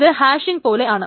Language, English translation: Malayalam, It's almost like hashing